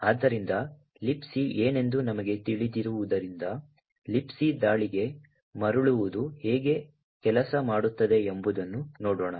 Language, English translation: Kannada, So, given that we know that what LibC is let us see how a return to LibC attack actually works